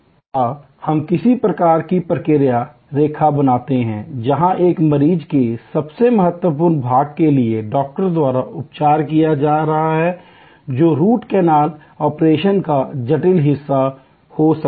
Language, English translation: Hindi, Or we create some kind of an process line, where while one patient is being attended by the doctor for the most critical part, which may be the intricate part of the root canal operation